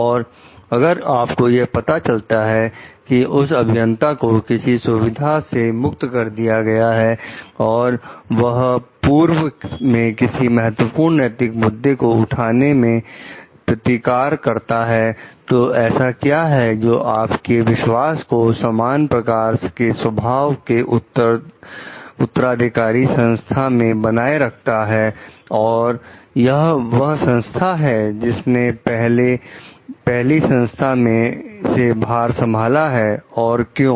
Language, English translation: Hindi, If you know that engineers at some facility have been retired retaliated against in the past for raising important ethical issues, what would it take to restore your trust that you could raise issues of a similar nature at a successor organization; so, that is organizations that took over from the first and why